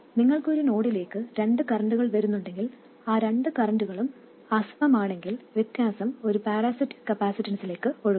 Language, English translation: Malayalam, If you have two currents coming into a node and those two currents are unequal, the difference will flow into a parasitic capacitance